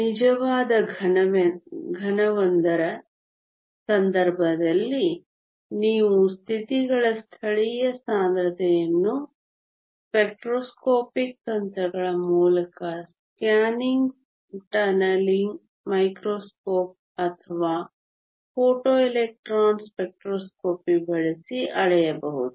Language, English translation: Kannada, In the case of a real solid you can measure the local density of states by spectroscopic techniques as either a scanning tunnelling microscope or as using a photo electron spectroscopy